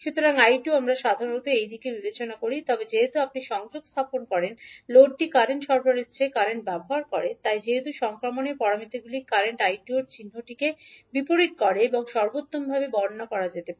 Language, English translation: Bengali, So I 2 we generally consider in this direction, but since the load if you connect consumes current rather than providing current so that is why the transmission parameters can best be described by reversing the sign of current I 2 so that is why we use here minus I 2 rather than I 2